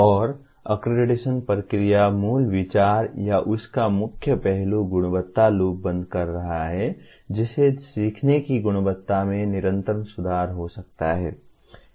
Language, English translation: Hindi, And the accreditation process, the core idea or core facet of that is closing the quality loop can lead to continuous improvement in the quality of learning